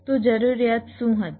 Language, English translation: Gujarati, so what was the requirement